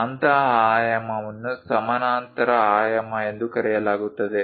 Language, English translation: Kannada, Such kind of dimensioning is called parallel dimensioning